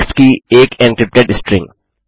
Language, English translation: Hindi, An encrypted string of text